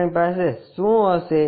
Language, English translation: Gujarati, What we will have